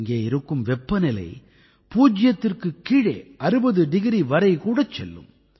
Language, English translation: Tamil, The temperature here dips to even minus 60 degrees